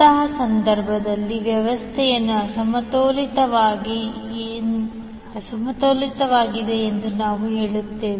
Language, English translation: Kannada, So in that case, we will say that the system is unbalanced